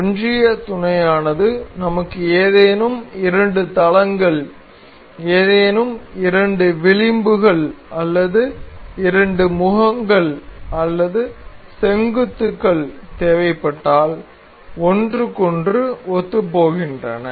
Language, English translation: Tamil, Coincidence mate is if we in case we need any two planes any two edges or any two faces or vertices to be coincide over each other we can do that